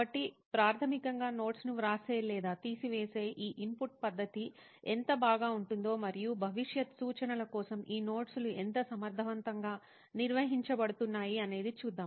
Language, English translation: Telugu, So basically how well this input method of writing or taking down notes is happening and how efficiently these notes are being organized for future reference